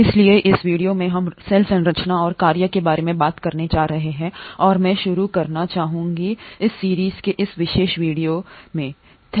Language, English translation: Hindi, So in this video we are going to talk about cell structure and function and I would like to start this particular video in this series by quoting J